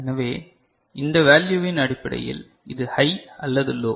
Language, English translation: Tamil, So, based on this value, based on this value, this is high or low